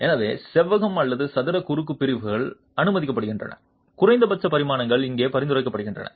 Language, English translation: Tamil, So, rectangular square cross sections are permitted, minimum dimensions are prescribed here